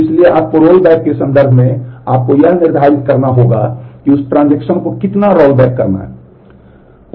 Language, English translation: Hindi, So, you have to in terms of rollback, you have to determine how far to rollback that transaction